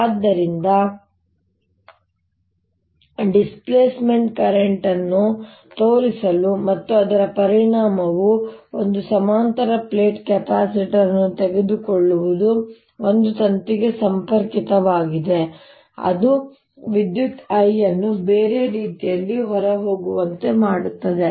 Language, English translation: Kannada, so the often done example of this to show displacement current and its effect is taking a parallel plate capacitor connected to a wire that is bringing in current i as its going out